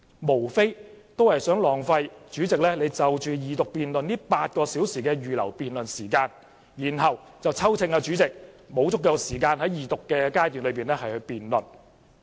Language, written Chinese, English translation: Cantonese, 他們在浪費主席就二讀辯論預留的8小時辯論時間後，便再批評主席沒有給予足夠時間進行二讀階段辯論。, After wasting the eight - hour debate time set aside by the President for the Second Reading debate they criticized the President for not giving them enough time for the Second Reading debate